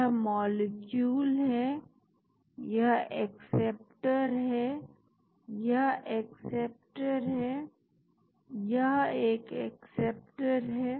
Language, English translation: Hindi, This is the molecule, this is the acceptor, this is acceptor, this is acceptor